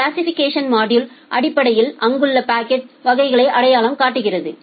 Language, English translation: Tamil, The classification module basically identifies the classes of packets which are there